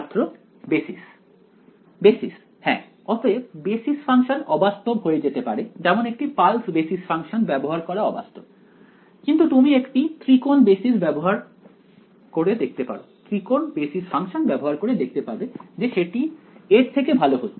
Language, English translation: Bengali, Basis yeah so basis functions may be unrealistic like using a pulse basis function may be unrealistic, but using you know a triangular basis function may be better right